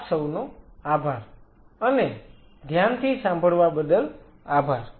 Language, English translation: Gujarati, Thank you, and thanks for your patience